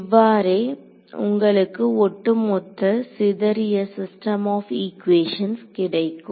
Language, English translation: Tamil, So, that is how you get a overall sparse system of the equations